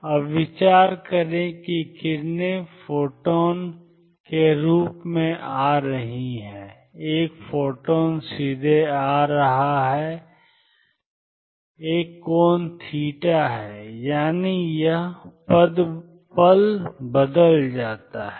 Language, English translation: Hindi, Now consider that rays are coming as photons, a photon coming straight go that an angle theta; that means, this moment changes